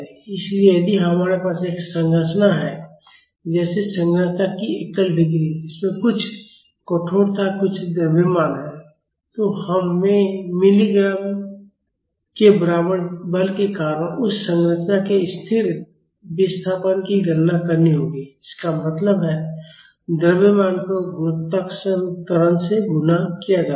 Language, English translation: Hindi, So, if we have a structure say a single degree of freedom structure, which has some stiffness and some mass we have to calculate the static displacement of that structure due to a force equal to mg; that means, mass multiplied by gravitational acceleration